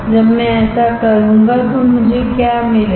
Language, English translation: Hindi, When I do that what I will get